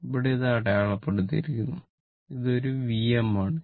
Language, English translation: Malayalam, Here it is marked and it is a V m